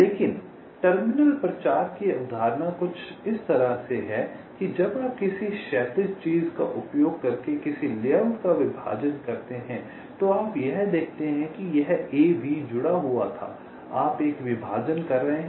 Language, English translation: Hindi, but terminal propagation concept is something like this: that when you partition a layout using a horizontal thing, you see this: this ab was connected